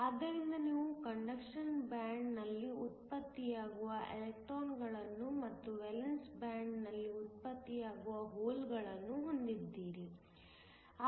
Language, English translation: Kannada, So, you have electrons that are produced in the conduction band and holes that are produced in the valence band